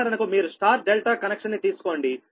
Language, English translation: Telugu, this is: for example, you take star delta connection